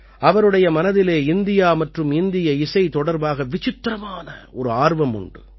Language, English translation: Tamil, He has a great passion for India and Indian music